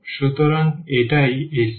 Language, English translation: Bengali, So, this is the circle